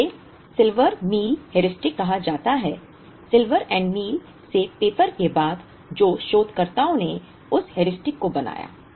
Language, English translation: Hindi, It is called Silver Meal Heuristic, after the paper from Silver and Meal who are the researchers who made that Heuristic